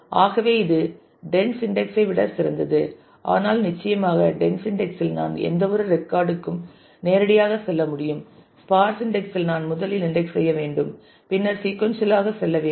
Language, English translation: Tamil, So that way it is it is better than the dense index, but certainly in the dense index I can go to any record directly from indexing in the sparse index I need to first index and then go sequentially